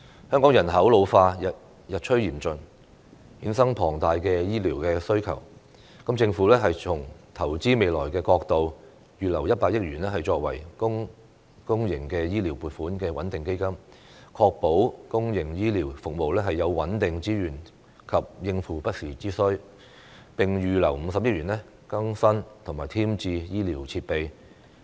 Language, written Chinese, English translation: Cantonese, 香港人口老化日趨嚴峻，衍生龐大的醫療需求，政府從投資未來的角度預留100億元作為公營醫療撥款穩定基金，確保公營醫療服務有穩定資源及應付不時之需，並預留50億元更新和添置醫療設備。, As the worsening problem of population ageing in Hong Kong has given rise to huge health care demand the Government will earmark 10 billion to set up a public health care stabilization fund from the perspective of investing for the future so as to ensure stable resources for public health care services and meet the need in emergency situations . The Government will also earmark 5 billion for upgrading and acquisition of medical equipment